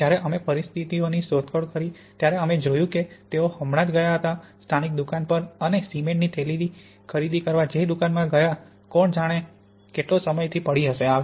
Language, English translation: Gujarati, And when we explored what was the situation we worked out that they had just gone to the local shop and bought a bag of cement which would may be been lying around in the shop for, who knows, how long